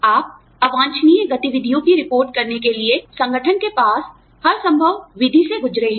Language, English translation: Hindi, You have gone through, every possible method, that the organization has, to report undesirable activities